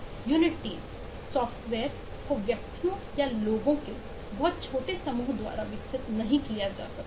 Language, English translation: Hindi, software cannot be developed by individuals or very small group of people